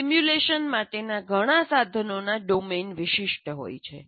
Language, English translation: Gujarati, And many of these tools are domain specific